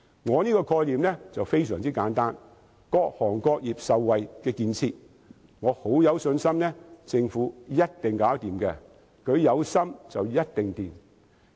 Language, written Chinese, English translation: Cantonese, 我這個概念非常簡單，是各行各業均能受惠的建設，我很有信心，政府一定做得到，只要有心，便一定會成功。, My concept is very simple . It is a facility which can benefit various sectors and industries . I am confident that the Government can definitely achieve it